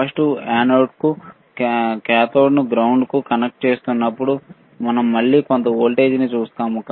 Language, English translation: Telugu, Let us see when we are connecting positive to anode ground to cathode we are again looking at the some voltage right